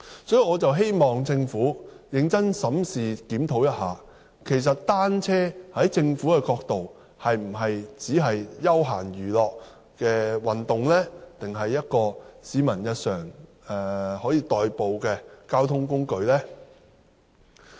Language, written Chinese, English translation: Cantonese, 所以，我希望政府認真檢討，單車是否只屬休閒娛樂運動，還是一種可以作為市民日常代步的交通工具呢？, Hence I hope the Government will seriously review whether cycling is just a recreation or a daily means of transport for the public